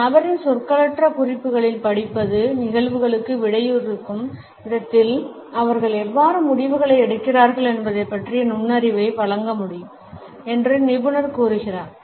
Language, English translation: Tamil, Expert says study in a person’s nonverbal cues can offer insight into how they make decisions in react to events